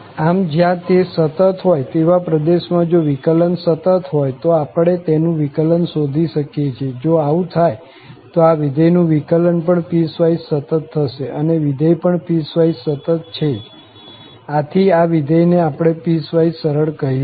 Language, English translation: Gujarati, So, we can find the derivative, if its derivative is also continuous in this region where it is continuous, if it happens that the derivative of this function is also piecewise continuous and the function is piecewise continuous as well, then we call that the function is piecewise smooth